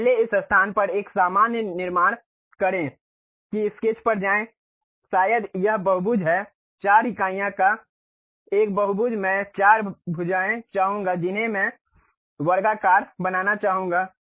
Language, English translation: Hindi, So, first construct a normal to that at this location go to Sketch, maybe this is the Polygon; a polygon of 4 units I would like four sides I would like to have square